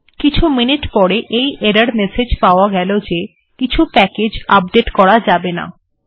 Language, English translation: Bengali, After a few minutes, I get this error message that something can not be updated, so it doesnt matter